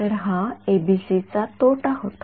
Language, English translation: Marathi, So, it was a disadvantage of ABC ok